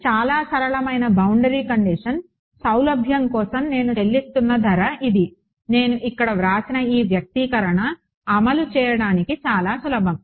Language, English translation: Telugu, So, this is the price that I am paying for the convenience of a very simple boundary condition this expression that I have written on the over here is a very simple to implement